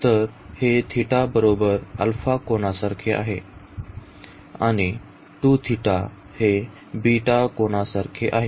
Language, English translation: Marathi, So, this is theta is equal to alpha angle, and 2 theta is equal to beta angle